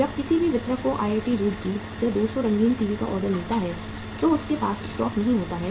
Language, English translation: Hindi, When any distributor receive an order of 200 colour TVs from IIT Roorkee, he does not have the stock